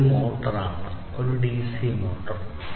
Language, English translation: Malayalam, Then this is a motor a dc motor